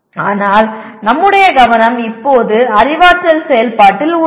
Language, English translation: Tamil, But our focus is right now on cognitive activity